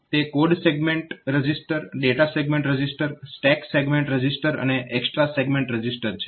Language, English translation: Gujarati, So, code segment register, data segment register, stack segment register and extra segment register